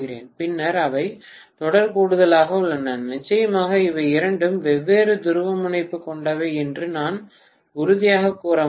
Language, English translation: Tamil, Then they are in series addition so, definitely I can say with conviction that these two are of different polarity